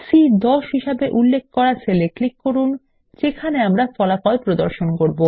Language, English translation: Bengali, Lets click on the cell referenced as C10 where we will be displaying the result